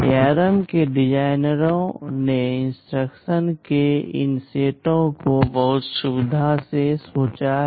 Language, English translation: Hindi, The designers for ARM have very carefully thought out these set of instructions